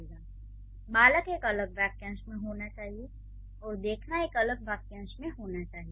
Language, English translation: Hindi, So, child should be in a different phrase and saw should be in a different phrase